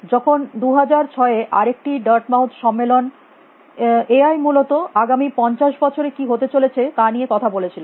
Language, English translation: Bengali, When they was another dark mouth conference in 2006 with said what is A I going to be the next 50 years essentially